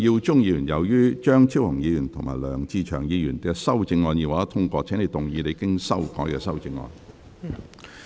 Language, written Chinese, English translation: Cantonese, 梁耀忠議員，由於張超雄議員及梁志祥議員的修正案已獲得通過，請動議你經修改的修正案。, Mr LEUNG Yiu - chung as the amendments of Dr Fernando CHEUNG and Mr LEUNG Che - cheung have been passed you may move your revised amendment